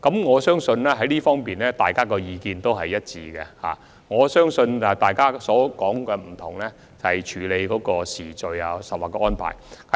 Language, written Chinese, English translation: Cantonese, 我相信在這方面，大家的意見是一致的，不同之處只是處理時序或安排而已。, In this connection I think we do share the same views of Members only that our views are different on the timing sequence or arrangements for handling the relevant work